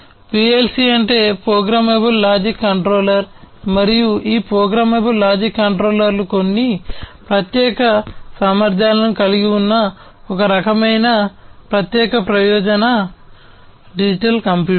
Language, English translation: Telugu, PLC stands for Programmable Logic Controller and these programmable logic controllers are some kind of special purpose digital computers that have certain special capabilities